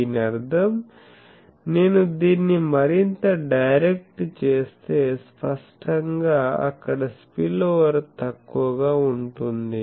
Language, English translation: Telugu, So, that means, if I make it more directed then the obviously, spillover will be less